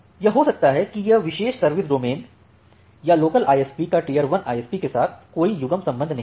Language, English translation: Hindi, That it may happen that this particular service domain or this particular local ISP, it does not have a pairing relationship with this tier 1 ISP